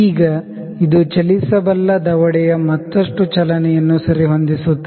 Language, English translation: Kannada, Now, this adjusts the further motion of the moveable jaw